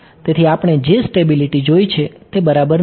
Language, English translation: Gujarati, So, stability we have seen solution does not ok